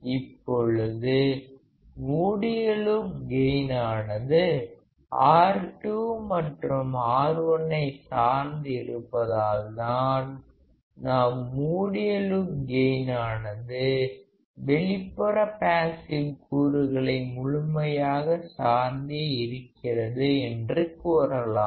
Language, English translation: Tamil, Now closed loop gain depends on the value of R 2 and R 1 and that is why we can say that the close loop gain depends entirely on external passive components